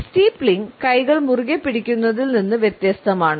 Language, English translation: Malayalam, Steepling is different from the clench of hands